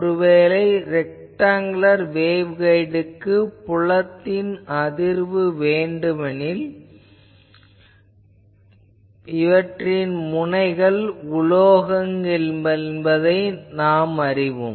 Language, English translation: Tamil, Suppose in a rectangular waveguide I want the field distribution I know that at the ends there are metal